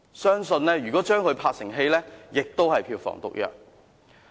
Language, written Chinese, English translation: Cantonese, 相信如果將之拍攝成電影，亦是票房毒藥。, I firmly believe that if the whole story is adapted into a movie it will have a very poor box office receipt